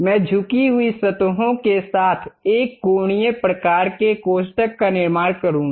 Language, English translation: Hindi, I will construct a L angular kind of bracket with inclined surfaces